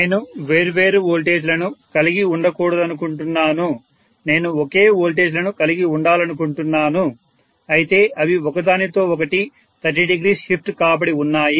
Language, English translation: Telugu, I do not want to have different voltages, I want to have the same voltages, but they are 30 degree shifted from each other